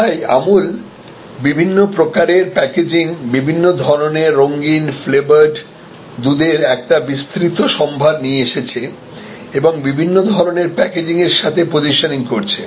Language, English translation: Bengali, So, Amul have come out with a therefore an expanded proposition with different kind of packaging, different kind of coloured, flavoured milk and positioning it as a, even in different kind of packaging